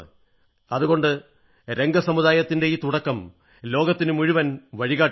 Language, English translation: Malayalam, This initiative of the Rang community, thus, is sure to be showing the path to the rest of the world